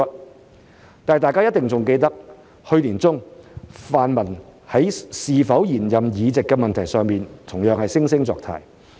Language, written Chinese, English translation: Cantonese, 不過，大家一定仍記得，去年年中，泛民在是否延任議席的問題上，同樣惺惺作態。, Yet Members should still remember that in the middle of last year the pan - democrats were equally hypocritical on the issue of whether to stay for the extended term